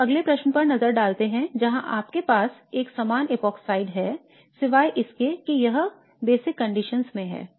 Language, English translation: Hindi, Now let us look at the next question where you have a similar epoxide opening except that it is under basic conditions